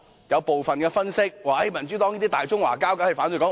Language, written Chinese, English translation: Cantonese, 有部分分析說，民主黨是"大中華膠"，當然反對"港獨"。, According to some analyses members of the Democratic Party are Greater Chinese morons and we of course oppose to the ideology of Hong Kong independence